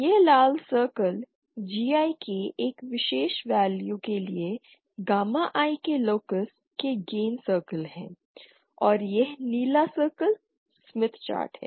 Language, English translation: Hindi, Now, what is these red circles are the these red circles are the gain circles of the locus of the gamma I for a particular value of capital GI and this blue circle is the Smith chart